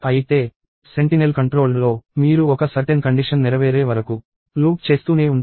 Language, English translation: Telugu, Whereas, in sentinel controlled, you keep looping until a certain condition is met